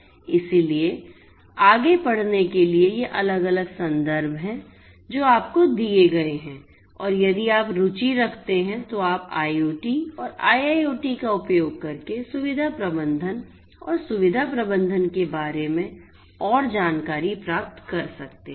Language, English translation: Hindi, So, for further reading these are these different references that have been given to you and in case you are interested you can go through them to get further insights about facility management and facility management using IoT and IIoT